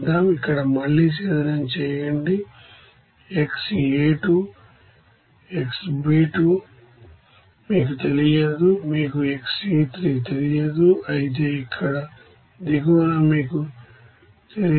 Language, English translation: Telugu, Here again distillate here xA2 is unknown to you xB2 is unknown to you, xC2 is unknown to you whereas here in the bottom it is also unknown to you